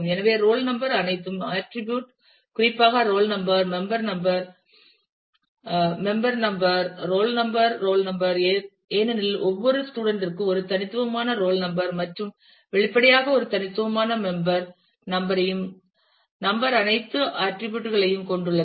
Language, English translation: Tamil, So, roll number determines all the; attributes specifically roll number also determines the member number and member number determines the roll number, because every student has a unique roll number and; obviously, has a unique member number also number will determine rest of the all attrib